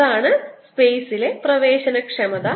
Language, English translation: Malayalam, that is the permeability of the space